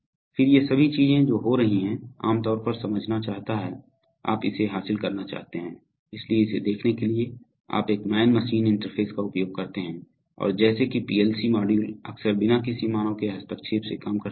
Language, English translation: Hindi, Then all these things that are happening, one generally wants to get, wants you get a view of it, so to get a view of it, you use a man machine interface and as such PLC modules often work without any, without any intervention from human